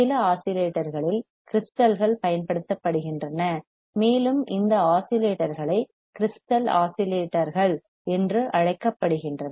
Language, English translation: Tamil, In some oscillators, crystals are used, and these oscillators are called crystal oscillators